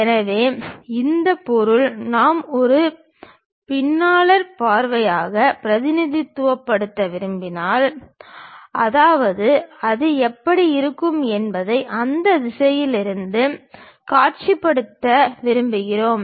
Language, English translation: Tamil, So, this object if we would like to represent as a planar view; that means, we would like to really visualize it from that direction how it looks like